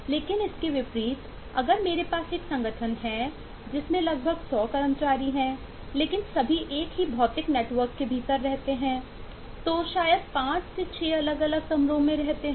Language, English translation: Hindi, but, in contrast, if i have an organisation which has about couple of 100 employees but all residing within the same physical network within the assembling, maybe residing in 5, 6 different rooms